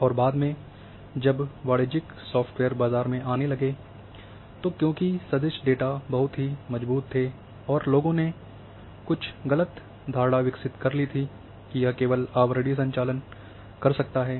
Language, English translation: Hindi, And later on when then commercial software started coming in the market, because there were very strong on vector data and people developed some some perception a wrong perception that it can only perform overlaying operations